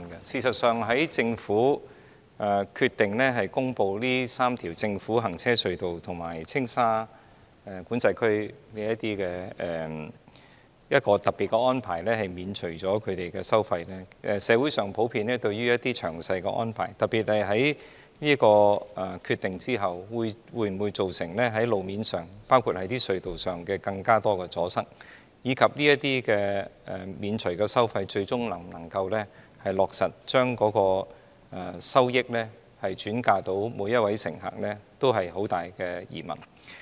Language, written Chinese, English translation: Cantonese, 事實上，在政府決定公布這3條政府行車隧道和青馬及青沙管制區的一個特別安排，即免除專營巴士的收費後，社會上普遍對於有關安排，特別是之後會否造成更多路面和隧道阻塞的情況，以及巴士公司獲豁免這些收費後，最終會否落實將有關收益惠及每一位乘客存在很大疑問。, In fact since the Governments decision to announce a special arrangement for the three government road tunnels and the Tsing Ma and Tsing Sha Control Areas namely waiving the tolls for franchised buses considerable doubts have been raised across the community as to whether the arrangement would cause more congestions to roads and tunnels afterwards and whether the bus companies exempted from the tolls would eventually pass on the benefit of savings to every passenger